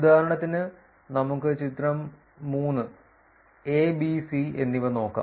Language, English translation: Malayalam, So, for example, let us go look at the figure 3 a, b and c